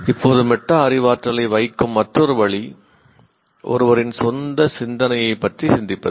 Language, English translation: Tamil, Now, another way of putting metacognition is thinking about one's own thinking